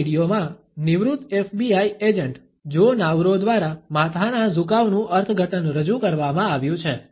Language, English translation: Gujarati, In this video, the interpretation of a head tilt is presented by a retired FBI agent Joe Navarro